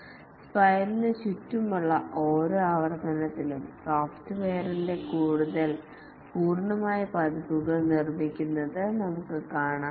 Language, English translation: Malayalam, We can see that with each iteration around the spiral, more and more complete versions of the software get built